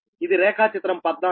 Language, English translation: Telugu, this is figure fourteen